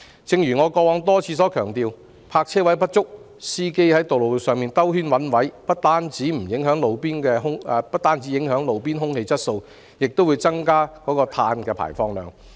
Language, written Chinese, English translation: Cantonese, 正如我以往多次強調，因為泊車位不足，司機被迫在路上繞圈子找泊位，這不但影響路邊空氣質素，亦會增加碳排放量。, As I have repeatedly emphasized in the past the shortage of parking spaces leaves motorists no alternative but to drive around to look for parking spaces thus not only affecting roadside air quality but also increasing carbon emissions